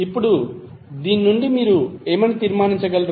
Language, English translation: Telugu, Now from this what you can conclude